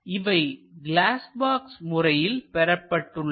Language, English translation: Tamil, So, let us use glass box method